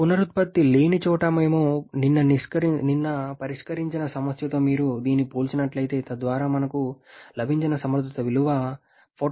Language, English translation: Telugu, If you compare this one with the problem that is called yesterday where there is no regeneration thereby efficiency value that we got was something like 44